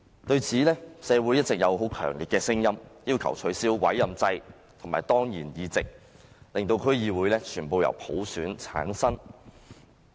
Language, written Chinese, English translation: Cantonese, 對此，社會一直有很強烈的聲音，要求取消委任制和當然議席，令區議會全部議席均由普選產生。, Society has all along held strong voices against this demanding an abolition of the appointment system and ex - officio seats so as to make all DC members returned by popular election